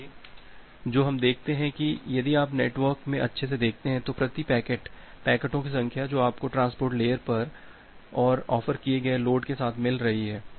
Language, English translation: Hindi, So, what we see that if you look into the network good put that the number of packets per second that you are receiving at the transport layer and with the offered load